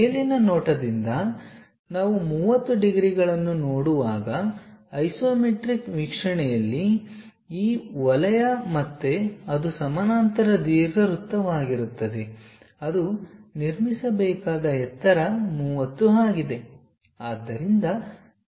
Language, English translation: Kannada, From top view this circle again in the isometric view when we are looking at 30 degrees, again that will be a parallel ellipse one has to construct at a height height is 30